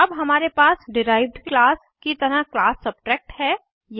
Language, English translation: Hindi, Now we have class Subtract as derived class